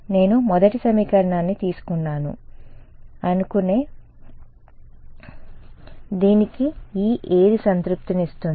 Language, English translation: Telugu, No right supposing I take the first equation what E satisfies this